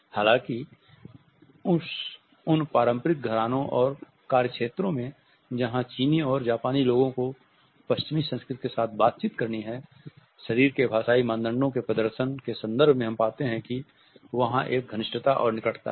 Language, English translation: Hindi, Though we find that those business houses and those work areas where the Chinese and Japanese people have to interact with the western culture, there is a closeness and proximity as far as the display of body linguistic norms are concerned